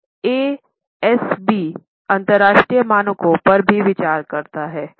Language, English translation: Hindi, Now, ASB gives due consideration to international standards also